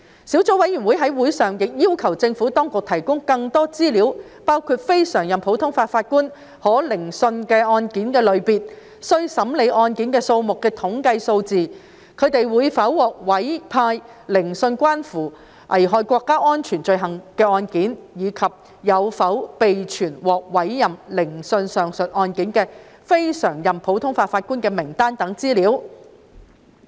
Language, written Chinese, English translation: Cantonese, 小組委員會在會上亦要求政府當局提供更多資料：包括非常任普通法法官可聆訊案件類別、須審理案件數目的統計數字、他們會否獲委派聆訊關乎危害國家安全罪行的案件，以及有否備存獲委派聆訊上述案件的非常任普通法法官的名單等資料。, At the meeting the Subcommittee has also requested the Administration to provide more information including the types of cases that may be heard by CLNPJ statistics on CLNPJs caseloads whether they will be assigned to hear cases relating to offences endangering national security and whether a list of CLNPJs assigned to hear the above cases is available